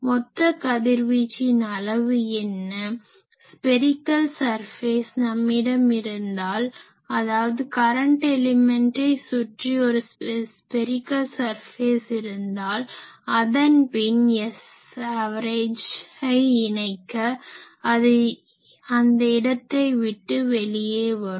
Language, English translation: Tamil, So, what is the total of this radiation taking place, it is we can think that we will have a spherical surface, enclosing these say closed spherical surface if we enclose, enclosing this current element and, then if we integrate this S average there because it will come out of this area